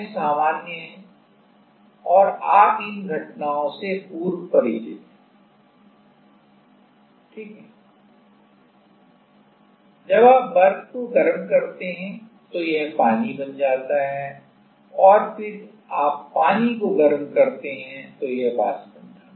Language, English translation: Hindi, And, that is the usual like you are familiar with these phenomena right, while you heat up the ice it becomes water and then you heat up the water it becomes vapor